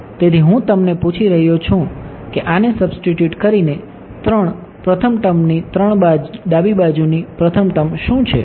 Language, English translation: Gujarati, So, I am asking you what is the first term of 3 left hand side of 3 first term having substituted this